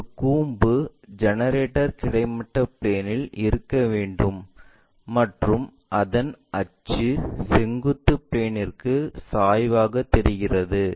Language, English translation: Tamil, So, a cone generator has to be on the horizontal plane and its axis appears to be inclined to vertical plane